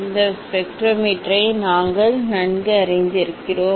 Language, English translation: Tamil, we are quite familiar with this spectrometer